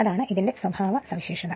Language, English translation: Malayalam, So, this is the characteristic